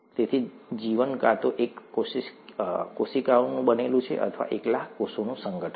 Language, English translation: Gujarati, So life is made up of either single cells, or an organization of single cells